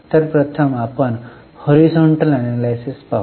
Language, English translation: Marathi, This is known as horizontal analysis